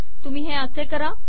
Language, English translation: Marathi, You do it as follows